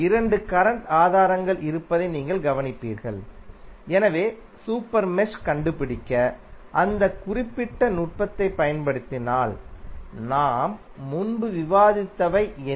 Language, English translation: Tamil, That you will observe that there are two current sources, so what we discussed previously if you apply that particular technique to find out the super mesh